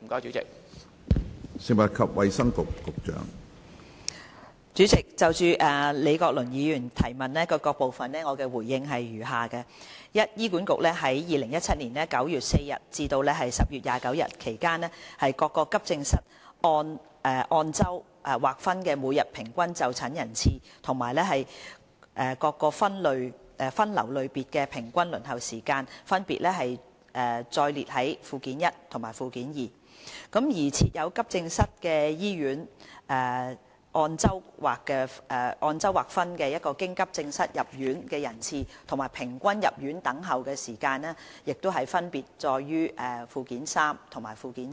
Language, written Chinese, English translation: Cantonese, 主席，就李國麟議員質詢的各部分，我回應如下：一醫院管理局在2017年9月4日至10月29日期間各急症室按周劃分的每日平均就診人次及各分流類別的平均輪候時間分別載列於附件一及附件二；而設有急症室的醫院按周劃分的經急症室入院人次及平均入院等候時間分別載列於附件三及附件四。, President my reply to various parts of the question raised by Prof Joseph LEE is as follows 1 In the period between 4 September and 29 October 2017 the average daily attendance at various accident and emergency AE departments of the Hospital Authority HA and the average waiting time for AE patients of different triage categories analysed on a weekly basis are set out respectively at Annexes 1 and 2 . The inpatient admissions via AE departments at hospitals providing AE services and the average waiting time for admission analysed on a weekly basis for the same period are set out at Annexes 3 and 4 respectively